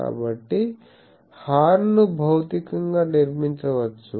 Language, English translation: Telugu, So, the horn can be constructed physically